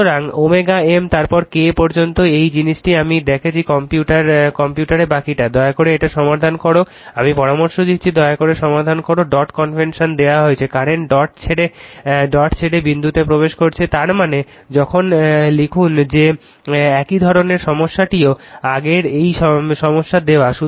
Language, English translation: Bengali, So, omega M then K up to up to this thing I am showing you this is computer right rest is you please solve it right I suggest you please solve it dot convention is given, the current is entering the dot leaving the dot; that means, when you write that your what you call the similar problem also shown you earlier right similar problem